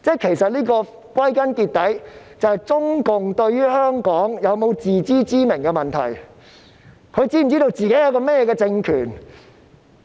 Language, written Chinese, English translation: Cantonese, 其實，歸根究底，這就是中共對香港有否自知之明的問題，它是否知道自己是一個怎樣的政權呢？, Do they find this disgusting? . After all it concerns whether or not CPC knows its position in Hong Kong . Does it know what kind of ruling authority it is?